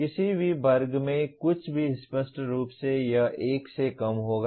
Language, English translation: Hindi, So anything in a given class obviously it will be less than 1